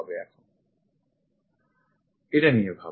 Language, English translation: Bengali, Think about it